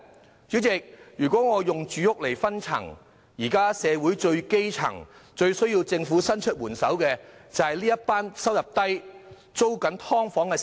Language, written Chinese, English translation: Cantonese, 代理主席，如果用住屋來區分，社會最基層、最需要政府伸出援手的人，就是收入低微的"劏房"租戶。, Deputy Chairman if housing is used for differentiation purposes tenants of subdivided units who earn a meagre income must be those at the lowest stratum and in the greatest need of government assistance